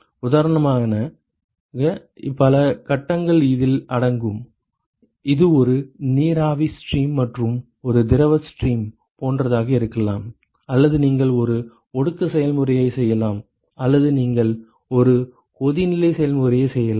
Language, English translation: Tamil, Multiple phases are involved for example, it could be like a vapor stream and a liquid stream or you can have a condensation process or you can have a boiling process etcetera ok